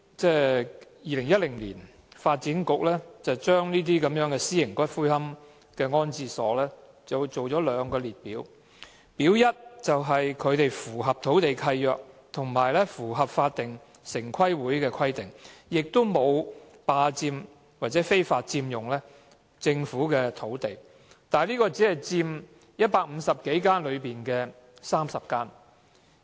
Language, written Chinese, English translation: Cantonese, 在2010年，發展局就私營龕場訂定兩個列表，"表一"的私營龕場符合土地契約及城市規劃委員會的規定，沒有非法佔用政府土地，但這些龕場只佔150多家內的30家。, In 2010 the Development Bureau published the Information on Private Columbaria which consisted of two parts . Part A included private columbaria which complied with land leases and the requirements of the Town Planning Board TPB and did not illegally occupy Government land . But there were only 30 such columbaria out of some 150